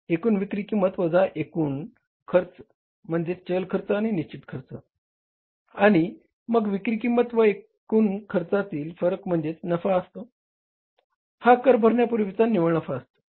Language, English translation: Marathi, Sales, total sales value minus your total cost, variable cost and fixed cost and the difference between the sales and the total cost is the profit that is the net profit before tax